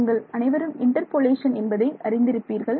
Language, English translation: Tamil, You all know it interpolation right